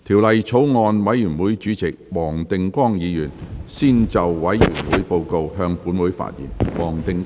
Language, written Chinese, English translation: Cantonese, 法案委員會主席黃定光議員先就委員會報告，向本會發言。, Mr WONG Ting - kwong Chairman of the Bills Committee on the Bill will first address the Council on the Bills Committees Report